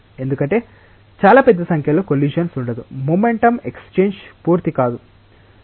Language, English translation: Telugu, Because there will not be very large number of collisions the momentum exchange will not be complete